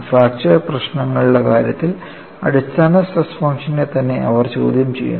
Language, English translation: Malayalam, You know, this is very unusual, in the case of fracture problems, they question the basic stress function itself